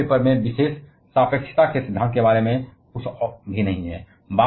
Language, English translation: Hindi, And the third paper special theory of relativity nothing to mention about